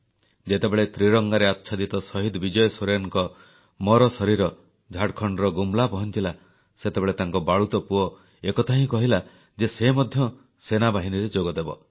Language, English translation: Odia, When the mortal remains of Martyr Vijay Soren, draped in the tricolor reached Gumla, Jharkhand, his innocent son iterated that he too would join the armed forces